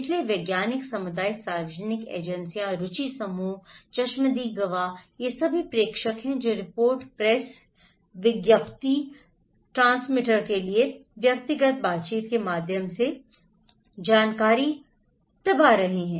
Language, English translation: Hindi, So, scientific communities, public agencies, interest group, eye witness they are all senders they are pressing the informations through reports, press release, personal interactions to the transmitter